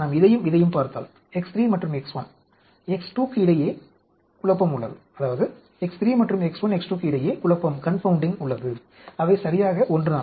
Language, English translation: Tamil, If we look at this and this that is a confounding between X 3 and X 1, X 2, they are exactly the same